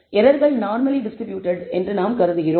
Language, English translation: Tamil, We assume that the errors are normally distributed